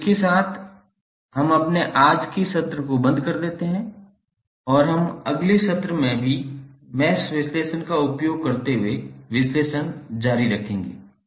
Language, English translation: Hindi, So with this we close our today's session and we will continue the analysis using mesh analysis in the next session also